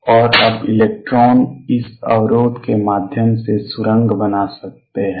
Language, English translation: Hindi, And now electrons can tunnel through this barrier